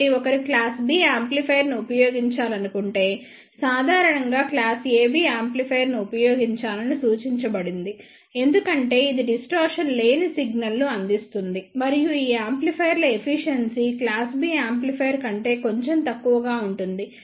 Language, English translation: Telugu, So, if one want to use the class B amplifier then it is suggested in general that one should use the class AB amplifier because it provides the distortion free signal and the efficiency of these amplifiers is just slightly less than the class B amplifier